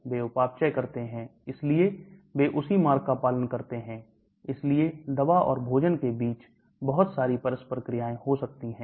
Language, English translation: Hindi, They get metabolized, so they follow the same route, so there could be a lot of interaction between the drug and food